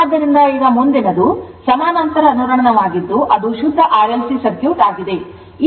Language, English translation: Kannada, So, now parallel next is the parallel resonance that is pure RLC circuit